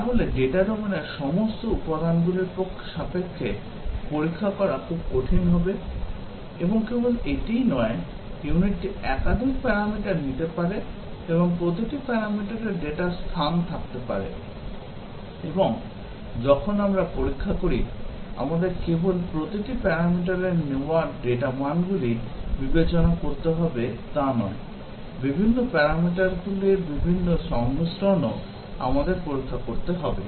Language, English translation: Bengali, So, testing, with respect to all elements of the data domain, will be very difficult; and not only that, it might take, unit might take multiple parameters and each parameter will have its data space; and, when we do testing, we will not only have to consider the data values that are taken by each parameter, but also, we have to check the different combinations of the different parameters